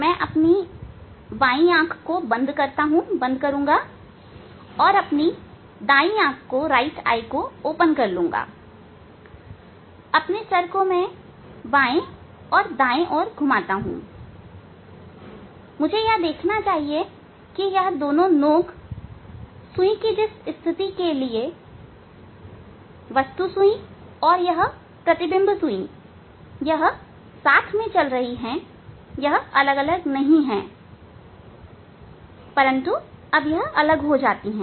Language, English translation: Hindi, I will close my left eye and open my right eye and I move my; I move my head left and right and I must see that this both tip at which for which position of the needle, object needle this image needle